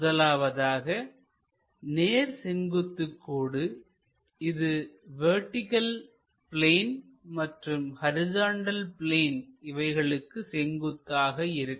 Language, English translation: Tamil, And this is a line perpendicular to both vertical plane and horizontal plane